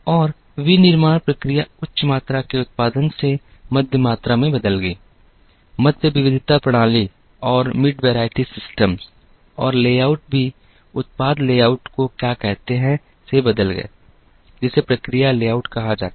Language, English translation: Hindi, And the manufacturing processes changed from high volume production to mid volume, mid variety systems and the layouts also changed from what are called product layout to what is called process layout